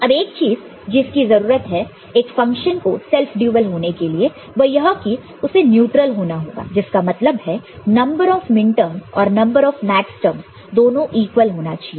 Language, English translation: Hindi, Now, one thing that is required for a function to be self dual is that it needs to be neutral; that means, the number of minterms will be same as number of max terms